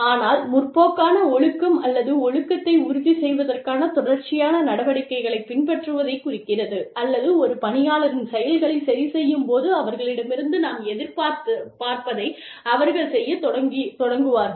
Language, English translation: Tamil, But, progressive discipline essentially refers to, you following a series of steps, to ensure discipline, or to correct the actions of an employee, in such a way, that the employee starts doing, whatever is expected of her or him